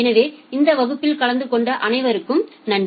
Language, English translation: Tamil, So thank you all for attending this class